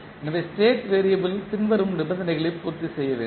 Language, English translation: Tamil, So state variable must satisfy the following conditions